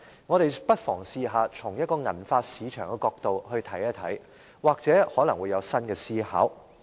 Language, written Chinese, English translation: Cantonese, 我們不妨嘗試從銀髮市場的角度來看，或許可能會有新的思考。, Let us perhaps look at it from the angle of the silver hair market which may shed new light on our reasoning